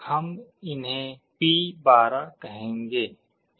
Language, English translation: Hindi, We will be calling them as P12